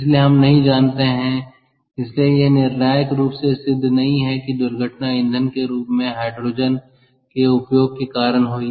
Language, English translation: Hindi, so it it is not conclusively proven that the accident happen due to hide use of hydrogen as fuel